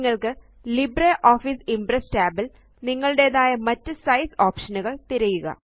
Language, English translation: Malayalam, In the LibreOffice Impress tab, you will find that the Size options are disabled